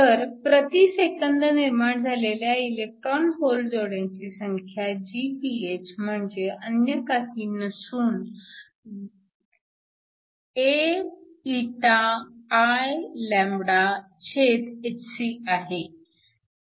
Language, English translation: Marathi, So, number of electron hole pairs Gph per second is nothing but AηIλhc